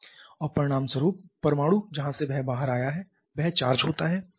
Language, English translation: Hindi, And consequently the atom from where it has come out that becomes a charged one